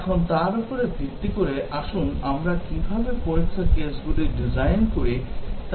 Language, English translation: Bengali, Now, based on that, let us see, how we design the test cases